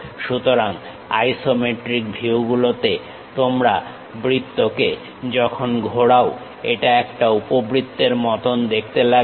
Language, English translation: Bengali, So, in isometric views your circle when you rotate it, it looks like an ellipse